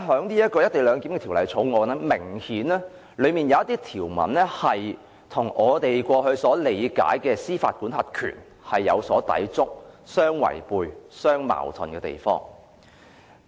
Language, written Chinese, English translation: Cantonese, 然而，《條例草案》明顯有一些條文與我們過去理解的司法管轄權有所抵觸、互相違背、互相矛盾。, However some provisions in the Bill are in obvious contravention of and run counter to the jurisdiction we used to understand